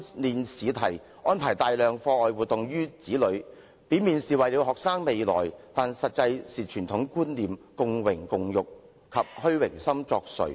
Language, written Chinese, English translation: Cantonese, 另一方面，父母為子女安排大量課外活動，表面上是為了他們的未來，但實際上是由於傳統觀念、共榮共辱及虛榮心作祟。, Meanwhile though the many extra - curricular activities arranged by parents for their children are presumably for the good of their future the parents are actually badly influenced by traditional concepts the notion of going through thick and thin together and their vanity